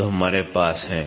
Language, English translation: Hindi, So, we have it